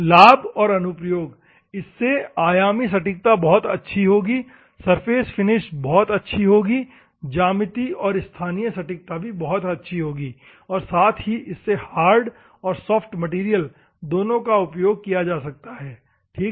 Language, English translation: Hindi, Advantages and applications; so, the dimensional accuracy will be very, good surface finish will be very good, good form geometry and local accuracy will be there, and both hardened, unhardened materials can be used, ok